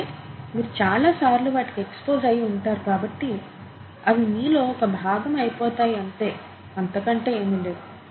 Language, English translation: Telugu, But since you are exposed to them so many times, they become a part of you, okay